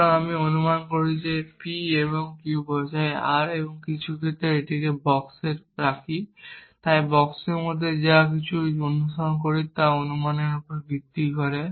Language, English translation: Bengali, So, I assume p and q implies r and in some sense put it in a box, so everything that follow within the box is based on this assumption